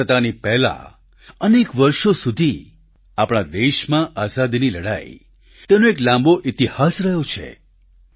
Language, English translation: Gujarati, Prior to Independence, our country's war of independence has had a long history